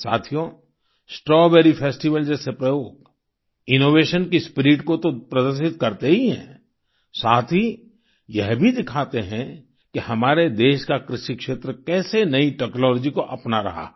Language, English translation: Hindi, experiments like the Strawberry Festival not only demonstrate the spirit of Innovation ; they also demonstrate the manner in which the agricultural sector of our country is adopting new technologies